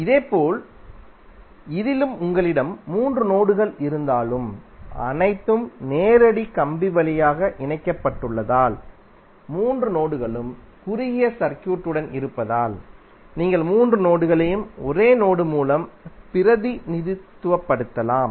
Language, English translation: Tamil, Similarly in this also, although you have three nodes but since all are connected through direct wire means all three nodes are short circuited then you can equal entry represents all the three nodes with one single node